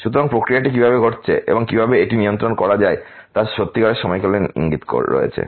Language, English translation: Bengali, So, there is the very good a real time indication of the process happening and how to controlled it